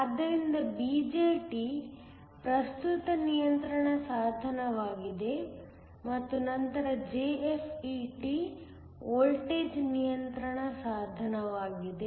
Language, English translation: Kannada, So, a BJT is a current control device and then a JFET is a voltage control device